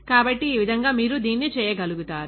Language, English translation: Telugu, So, this way you are able to do that